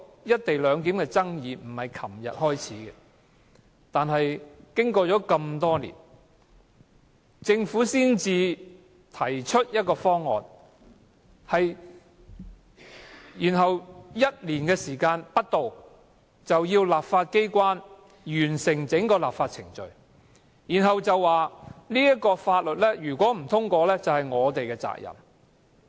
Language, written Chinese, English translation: Cantonese, "一地兩檢"的爭議並非始於昨天，但政府經過多年才提出方案，然後要求立法機關在1年內完成整個立法程序，並指《條例草案》若不獲通過，就是立法機關的責任。, The controversies over the co - location arrangement were not something that came up yesterday . It is just that the Government has taken years to put forth a co - location proposal but requested the legislature to finish the law - making procedure within one year . Worse still the Government holds that the legislature should be held responsible if the Bill cannot be passed